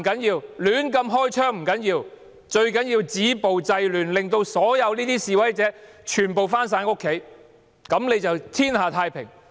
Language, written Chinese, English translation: Cantonese, 最要緊的是止暴制亂，令所有示威者回家，這樣便天下太平。, To them what matters most is to stop violence and curb disorder and to make all protesters go home . They think this can bring everlasting peace to Hong Kong